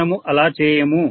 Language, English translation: Telugu, We will not